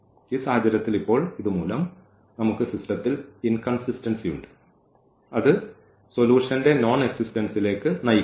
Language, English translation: Malayalam, In this case and now because of this we have this inconsistency in the system and which leads to the nonexistence of the solution